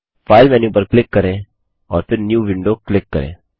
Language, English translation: Hindi, Lets click on the File menu and click on New Window